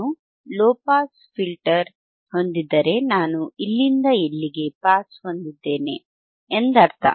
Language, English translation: Kannada, If I have a low pass filter means, I will have pass from here to here, correct